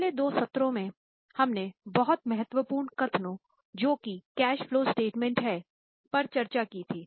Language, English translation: Hindi, In last two sessions, we have been in the very important statements that is in the form of cash flow statement